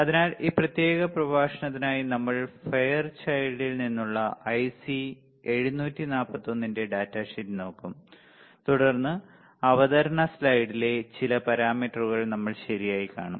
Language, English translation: Malayalam, So, for this particular lecture we will be we will be looking at the data sheet of IC 741, which is from Fairchild and then we will see some of the parameters in the presentation slide alright